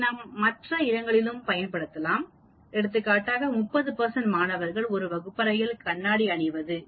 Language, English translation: Tamil, We can use it like, if there are 30 percent of the students wear glasses in a class